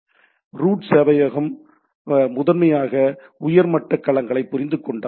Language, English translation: Tamil, So, if the root server primarily understands the top level domains